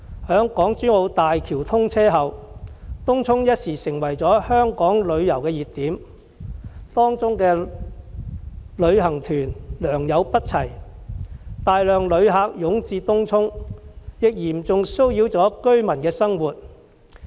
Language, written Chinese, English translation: Cantonese, 在港珠澳大橋通車後，東涌頓時成為香港旅遊的熱點，當中的旅行團良莠不齊，大量旅客湧至東涌，嚴重騷擾了居民的生活。, With the commissioning of the Hong Kong - Zhuhai - Macao Bridge Tung Chung has become a hot spot for visitors . The varying standards of tour groups and the sudden influx of visitors have caused much nuisance to local residents